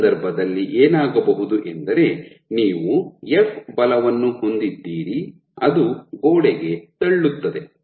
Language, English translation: Kannada, So, what will happen in this case your ron you have a force f which is pushing the wall